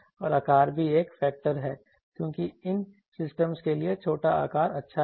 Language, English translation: Hindi, And also size is a factor because for these systems the smaller size is good